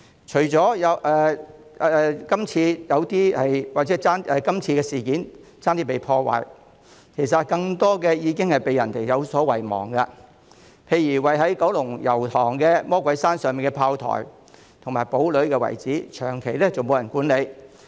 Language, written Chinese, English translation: Cantonese, 除了今次差點被破壞的建築物外，其實還有更多古蹟已被遺忘，例如位於九龍油塘魔鬼山上的砲台和堡壘遺址，長期沒有人管理。, In addition to the architecture that was almost destroyed this time there are many forgotten heritage sites . For instance the Devils Peak cannon and fort ruins in Yau Tong have been left unmanaged for a long time